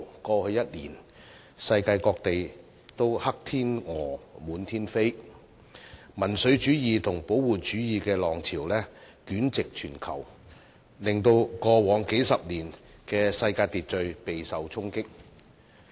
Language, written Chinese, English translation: Cantonese, 過去一年，世界各地"黑天鵝"滿天飛，民粹主義和保護主義的浪潮席捲全球，令過往數十年的世界秩序備受衝擊。, The many black swan events in various places of the world last year coupled with the tide of populism and protectionism sweeping over the whole world have dealt a severe blow to the world order in place over the past several decades